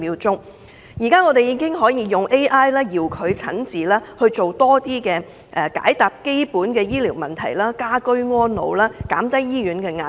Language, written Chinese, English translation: Cantonese, 現時有 AI 可以作遙距診治，解答基本的醫療問題，讓市民可以居家安老，減低醫院的壓力。, At present AI can be used on remote treatment and basic medical consultation so as to enable elderly people to receive elderly care at home and reduce the pressure on hospitals